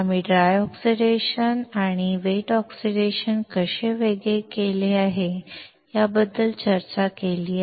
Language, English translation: Marathi, We discussed dry oxidation and how it is different from wet oxidation